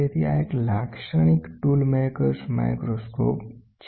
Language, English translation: Gujarati, So, this is a typical tool maker’s microscope